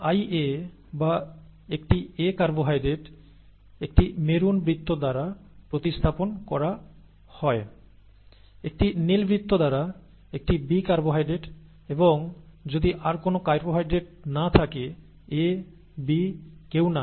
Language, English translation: Bengali, And I A or an A carbohydrate is represented by a maroon circle, a B carbohydrate by or a red circle, B carbohydrate by a blue circle and if there are no carbohydrates neither A nor B and it is small i